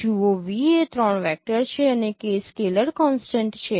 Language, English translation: Gujarati, See v is any three vector and k is a scalar constant